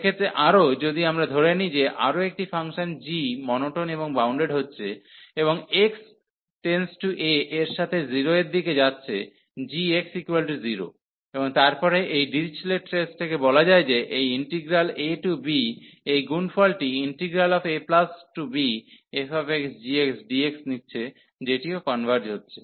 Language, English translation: Bengali, In that case, further if we assume that another function g is monotone and bounded, and approaching to 0 as x approaching to this a and then this Dirichlet’s test concludes that this integral a to b, taking this product f x, g x also converges